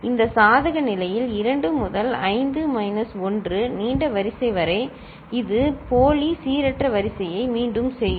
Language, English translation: Tamil, In this case, 2 to the power 5 minus 1 long sequence, which will repeat pseudo random sequence